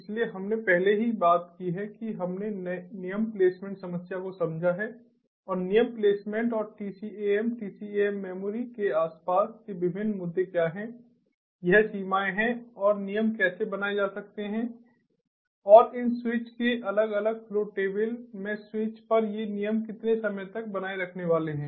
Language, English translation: Hindi, so we have already talked about, we have understood, the rule placement problem and what are the different issues surrounding rule placement and tcam, tcam memory, its limitations and how the rules can be created and how much time these rules are going to be maintained at the switches, in the different different flow tables of these switches